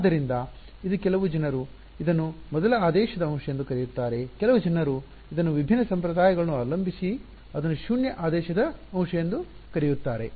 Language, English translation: Kannada, So, this is the most basic some people call it first order element some people call it zeroth order element depending they have different conventions